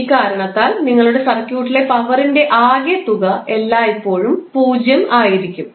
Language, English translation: Malayalam, And for this reason your algebraic sum of power in a circuit will always be 0